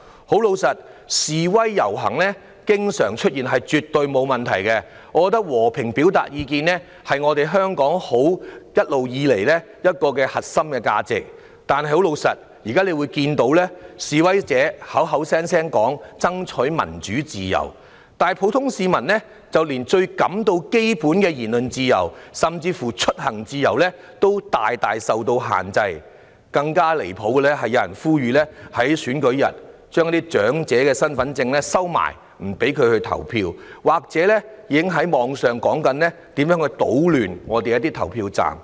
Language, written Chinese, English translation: Cantonese, 坦白說，示威遊行經常出現，是絕對沒有問題的，我認為和平表達意見的權利，是香港一直以來的核心價值，但現在我們卻看到，示威者口口聲聲說爭取民主自由，但普通市民連最基本的言論自由，甚至出行自由也受到很大的限制，更離譜的是有人呼籲在選舉日將長者的身份證收藏起來，不讓他們投票，而互聯網上已有言論談及如何搗亂投票站。, However now we see that protesters keep saying they fight for democracy and freedom but the most basic freedom of speech and even freedom of travel of the ordinary masses have been greatly restricted . What is more outrageous is that some people call on others to put away the identity cards of elderly people on the polling day to preventing them from voting . There are comments on the Internet on how to create a disturbance in the polling stations